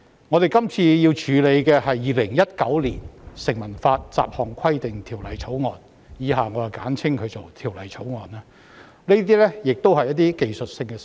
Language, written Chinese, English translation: Cantonese, 我們這次要處理的《2019年成文法條例草案》亦是提出一些技術性修訂，不應具爭議性。, Similarly the Statute Law Bill 2019 the Bill that we have to deal with this time also concerns the proposal of some technical amendments which should be non - controversial